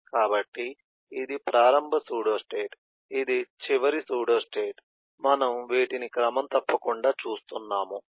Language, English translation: Telugu, so this is, this is the initial pseudostate, this is the final pseudo state which we have been eh seen, but eh regularly